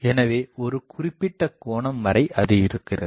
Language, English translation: Tamil, So, up to certain angle it is there